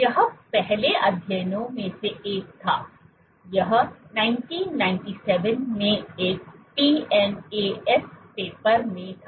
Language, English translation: Hindi, This was one of the first studies; this was in a PNAS paper in 1997